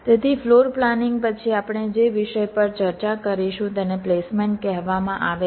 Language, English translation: Gujarati, ok, so after floorplanning, the topic that we shall be discussing is called placement